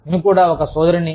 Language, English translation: Telugu, I am also a sister